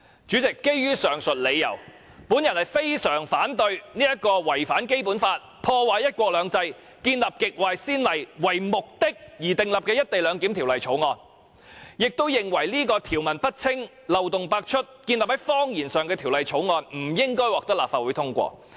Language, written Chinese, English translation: Cantonese, 主席，基於上述理由，我非常反對這項為了違反《基本法》、破壞"一國兩制"和開立極壞先例而訂定的《條例草案》，並認為這項條文不清、漏洞百出、建立於謊言上的《條例草案》，不應該獲得立法會通過。, President for these reasons I strongly oppose this Bill which contravenes the Basic Law ruins one country two systems and sets a very bad precedent . Worse still the provisions of the Bill are ambiguous and riddled with loopholes and their bases are found on lies hence the Bill should not be endorsed by the Legislative Council